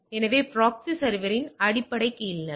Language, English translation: Tamil, So, that is the basic bottom line of the proxy server